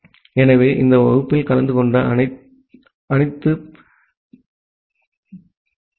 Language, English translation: Tamil, So thank you all for attending this class